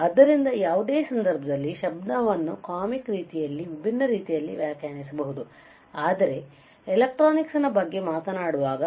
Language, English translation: Kannada, So, you see and noise in any case can be defined in a in a different way in a in a comic way as well, but when we talk about electronics